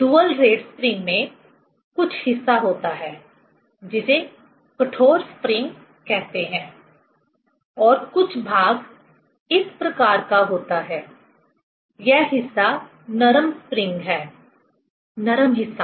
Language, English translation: Hindi, In dual rate springs, some portion is having, say hard spring and some portion is this type; this may be, this part is soft spring, soft part